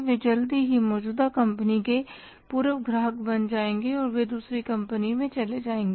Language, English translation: Hindi, They'll soon become the former customer to an existing company and they will shift to the other company